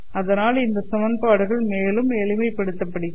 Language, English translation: Tamil, So the equations are considerably simplified